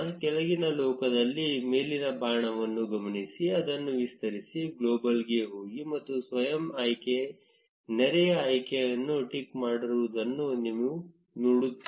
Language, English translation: Kannada, Notice the up arrow on the bottom panel, expand it, go to global, and you will see that the auto select neighbor option is ticked